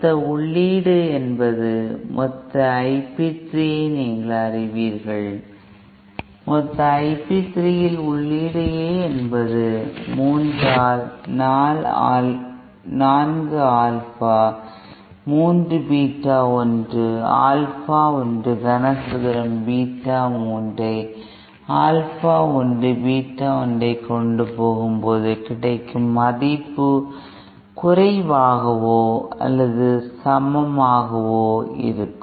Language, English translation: Tamil, And then the total input in the you know the total I p 3, if suppose A in is the total I p 3, and this will be less or equal to 3 by 4 Alpha 3 Beta 1 + Alpha 1 cube Beta 3 upon Alpha 1 Beta 1